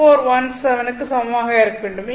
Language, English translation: Tamil, 2417, and this is roughly 0